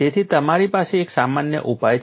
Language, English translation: Gujarati, So, you have a generic solution